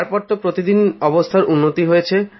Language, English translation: Bengali, After that, there was improvement each day